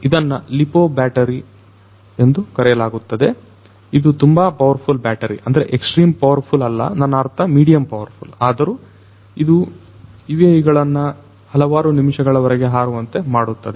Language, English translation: Kannada, So, this is known as the lipo battery, this is a very powerful battery, you know medium powerful I mean it is not extremely powerful, but you know it can make these UAVs fly for several minutes